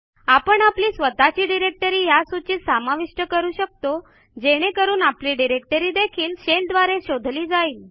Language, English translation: Marathi, We can also add our own directory to this list so that our directory is also searched by the shell